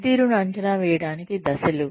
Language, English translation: Telugu, Steps for appraising performance